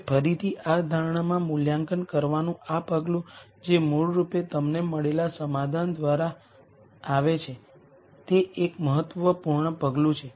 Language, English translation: Gujarati, Now, again this step of assessing in the assumption which is basically through the solution that you get is a critical step